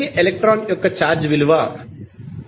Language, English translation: Telugu, So, the electron will have a charge equal to 1